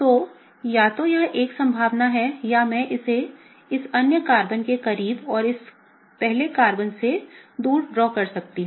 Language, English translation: Hindi, So, either this is a possibility or I can draw it closer to this other Carbon and really further from the, this Carbon, the first Carbon, okay